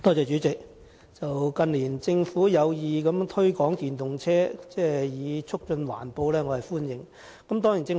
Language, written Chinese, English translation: Cantonese, 主席，近年政府有意推廣電動車以促進環保，對此我是歡迎的。, President in recent years the Government has intended to promote EVs for environmental protection and this I welcome